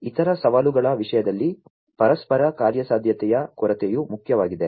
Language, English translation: Kannada, In terms of other challenges lack of interoperability is important